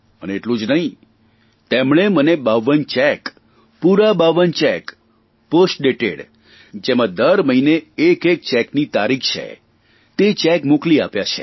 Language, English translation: Gujarati, And not just this, he sent me 52 cheques, post dated, which bear a date for each forthcoming month